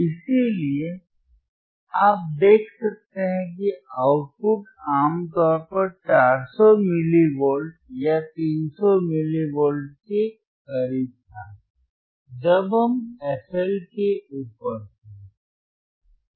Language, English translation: Hindi, So, you could see the output generally it was close to 400 milli volts or 300 something milli volts, right